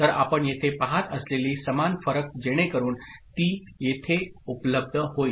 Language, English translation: Marathi, So, the same variation that you see over here, so that will also be available here